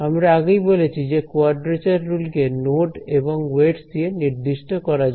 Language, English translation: Bengali, So, as I have mentioned before a quadrature rule is defined by the nodes and the weights